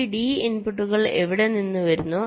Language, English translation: Malayalam, and this d inputs are coming from somewhere